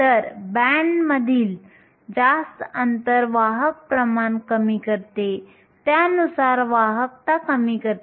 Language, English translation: Marathi, So, higher the band gaps lower the carrier concentration, correspondingly lower the conductivity